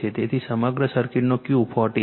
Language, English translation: Gujarati, So, Q of the whole circuit is 40 right